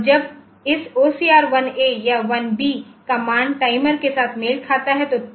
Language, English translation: Hindi, So, when the value of this OCR1 A or 1 B matches with timer one